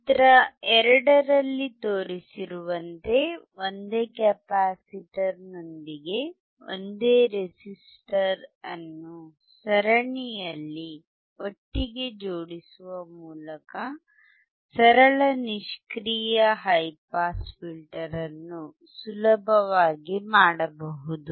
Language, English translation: Kannada, A simple passive high pass filter can be easily made by connecting together in series a single resistor with a single capacitor as shown in figure 2